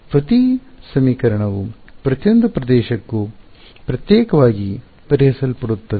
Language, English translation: Kannada, So, each equation solved separately for each region ok